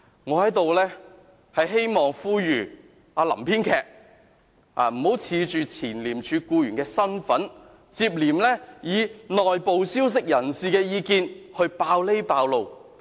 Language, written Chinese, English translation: Cantonese, 我在這裏希望並呼籲"林編劇"，不要恃着前廉署僱員的身份，接連以內部消息人士的意見來揭露這個那個。, I hereby call upon Mr LAM the scriptwriter to stop taking advantage of his capacity as a former employer of ICAC and exposing this or that by citing the so - called inside information he received